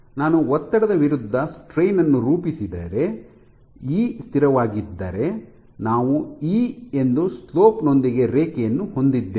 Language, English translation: Kannada, So, if I plot stress versus strain, if E is constant then you will have a linear a straight line the slope being E